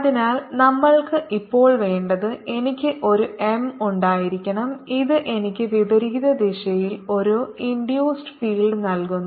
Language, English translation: Malayalam, so what we want now, that i should have an m that gives me an induced field in the opposite direction, like this